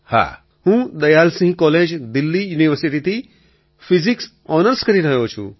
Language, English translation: Gujarati, I am doing Physics Honours from Dayal Singh College, Delhi University